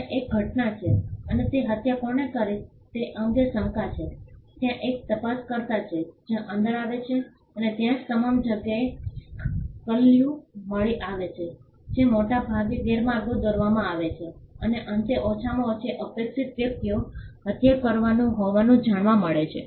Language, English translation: Gujarati, There is an event and there is doubt with regard to who committed that murder and there is an investigator who comes in and there are clues all over the place which are largely misleading and at the end the least expected person is found to have committed the murder, I mean it is a typical in a typical murder mystery